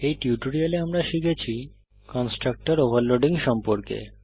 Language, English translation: Bengali, So in this tutorial, we have learnt About the constructor overloading